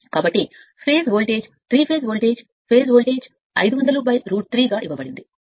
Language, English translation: Telugu, So, the phase voltage is it is given 3 phase voltage phase voltage is 500 by root 3